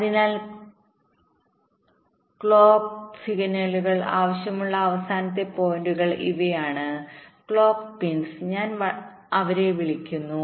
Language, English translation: Malayalam, so these are the final points where the clock signals are required, the clock pins, i call them